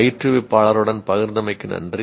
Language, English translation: Tamil, Thank you for sharing with the instructor